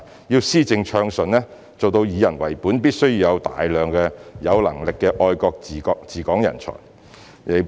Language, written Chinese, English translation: Cantonese, 要施政暢順，做到以人為本，必須有大量有能力的愛國治港人才。, A large number of patriotic talents in governance are needed for smooth and people - oriented implementation of policies